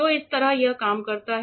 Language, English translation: Hindi, So, that is how this works